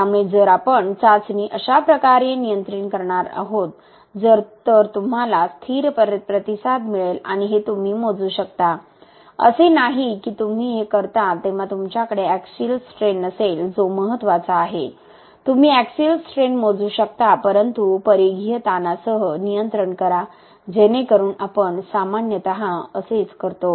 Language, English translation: Marathi, So if we were going to control the test this way, then you will get a stable response and this you can measure, it is not that when you do this you do not have the axial strain which is important, you can measure this but control, you can measure this and controlled with this, so that is what we generally do